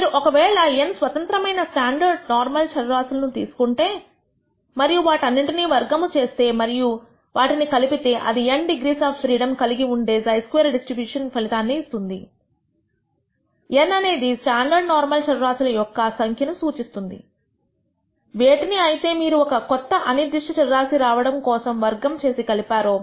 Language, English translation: Telugu, If you take n independent standard normal variables and square and add all of them that will result in a chi square distribution with n degrees of freedom, n representing the number of standard normal variables which you have squared and added to get this new random variable